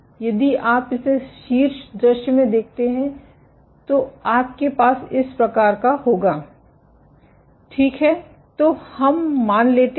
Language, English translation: Hindi, So, if you look at it in top view what you will have is as follows ok